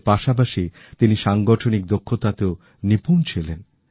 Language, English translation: Bengali, Along with that, he was also adept at organising skills